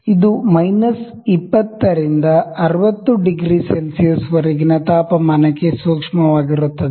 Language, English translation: Kannada, It sensitive to the temperature is from minus 20 degree to 60 degree centigrades